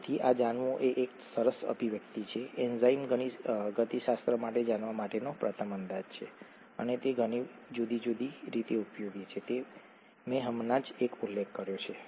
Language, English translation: Gujarati, So this is a nice expression to know, the first approximation to know for enzyme kinetics, and it is useful in many different ways, I just mentioned one